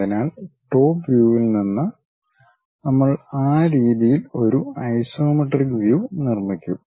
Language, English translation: Malayalam, So, from the top view we will construct isometric view in that way